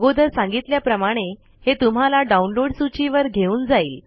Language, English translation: Marathi, It will take you to the list of downloads as I mentioned earlier